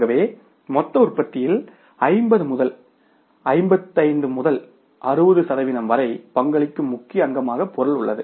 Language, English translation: Tamil, So, material is the major component which contributes to 50 to 50 to 60 percent of the total cost of production